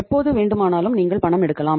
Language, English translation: Tamil, Anytime you need the funds you withdraw it